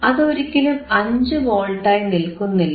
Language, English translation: Malayalam, It is not 5 Volts anymore, it is 4